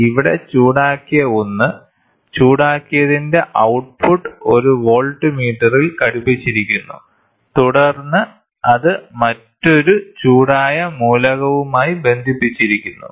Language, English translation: Malayalam, So, here is a heated one, the output of the heated one is attached to a voltmeter, and then it is attached to another heated element